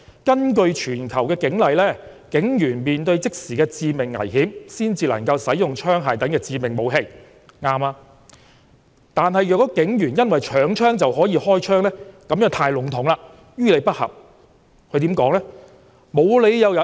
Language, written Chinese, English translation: Cantonese, "根據全球警例，警員面對即時的致命危險時，才能夠使用槍械等致命武器"，正確，"但倘警員因搶槍就可以開槍，這便太籠統，亦於理不合"，他又怎說呢？, He said In accordance with the police regulations in the world a police office is only allowed to use lethal weapons such as guns when he is in life - threatening danger―this comment is right―but the condition that a police officer can fire when someone tries to snatch his gun is too vague and is unreasonable . What else did he say?